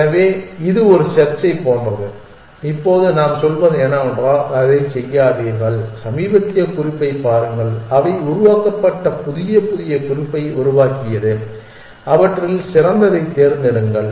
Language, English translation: Tamil, So, this is like a search there is now what we are saying is do not do that just maintain just look at the latest note that what they would generated the new the newest note that was generated and just pick the best amongst them